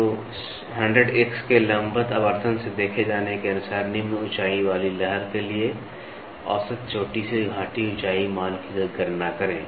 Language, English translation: Hindi, So, calculate the average peak to valley height value for a wave having the following height as of a viewed from a vertical magnification of 100 X